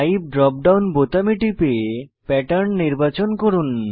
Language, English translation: Bengali, Click on Type drop down button and select Pattern